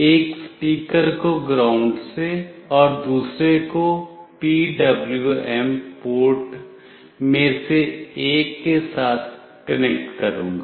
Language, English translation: Hindi, The speaker I will be connecting one to ground and another to one of the PWM port